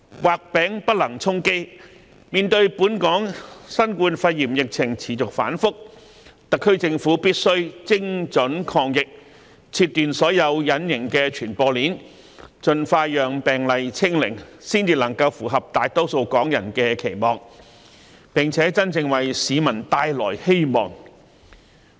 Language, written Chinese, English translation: Cantonese, 畫餅不能充飢，面對本港新冠肺炎疫情持續反覆，特區政府必須精準抗疫，切斷所有隱形傳播鏈，盡快令病毒"清零"，才能符合大多數港人的期望，並真正為市民帶來希望。, Given the volatile COVID - 19 epidemic situation in Hong Kong the SAR Government must fight the epidemic with precision break all invisible transmission chains and achieve zero infection as early as possible . Only by doing so can the Government meet the aspirations of most Hong Kong people and bring genuine hope to the general public